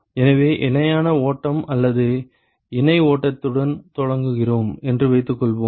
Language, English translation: Tamil, So, let us say we start with a parallel flow case or a co current flow